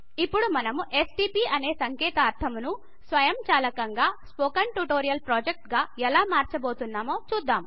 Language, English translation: Telugu, So let us see how an abbreviation like stp gets automatically converted to Spoken Tutorial Project